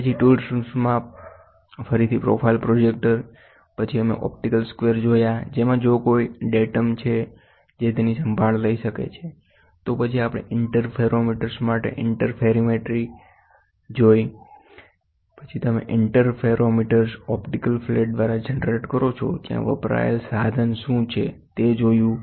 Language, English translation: Gujarati, Then profile projector again in tool rooms, then we saw optical squares wherein which if there is any deviation one the datum which can take care of it, then we saw interferometry guidelines for interferometers, then what is the instrument used to do where you generate this interferometers is by optical flat